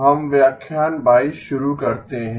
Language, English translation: Hindi, Let us begin lecture 22